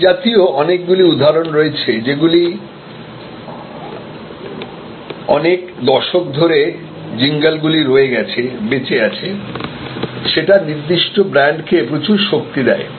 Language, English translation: Bengali, There are many such examples, jingles that have stayed, survived, decades, giving a lot of strength to that particular brand